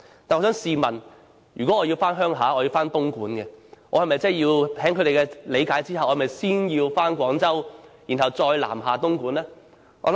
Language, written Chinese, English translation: Cantonese, 但是，我想問如果我要回東莞鄉下，以他們的理解，我是否要先到廣州，然後再南下東莞呢？, However if I am going to my home village in Dongguan in their understanding should I make a detour to Guangzhou first and then travel south to Dongguan?